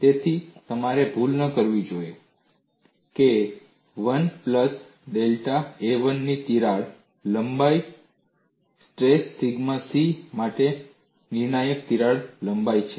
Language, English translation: Gujarati, So, you should not mistake that a crack length of a 1 plus delta a 1 is a critical crack length for the stress sigma c